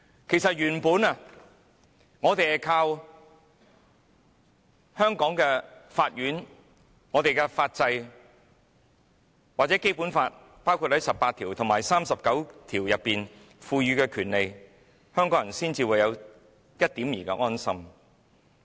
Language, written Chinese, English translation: Cantonese, 其實，香港人原本依靠香港法院和法制，又或《基本法》第十八條和第三十九條賦予的權利，才有一點兒的安心。, As a matter of fact counting on the Court and legal system in Hong Kong or the rights conferred by Articles 18 and 39 of the Basic Law Hongkongers originally felt somewhat assured